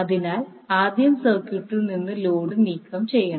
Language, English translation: Malayalam, So, first we will remove the load from the circuit